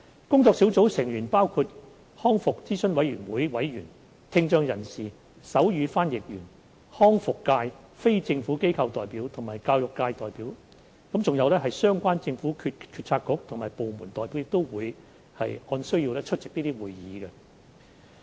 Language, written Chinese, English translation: Cantonese, 工作小組成員包括康復諮詢委員會委員、聽障人士、手語翻譯員、康復界非政府機構代表及教育界代表，而相關的政府政策局及部門代表亦會按需要出席會議。, The working group comprises members of RAC hearing impaired persons sign language interpreters and representatives from non - governmental organizations NGOs of the rehabilitation sector and the education sector . Representatives of relevant government bureaux and departments would attend meetings for discussion as and when necessary